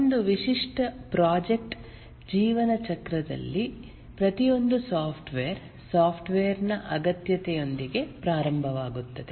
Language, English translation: Kannada, In a typical project lifecycle lifecycle, almost every software starts with a need for the software